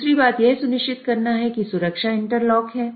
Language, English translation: Hindi, The other thing it has to ensure is safety interlock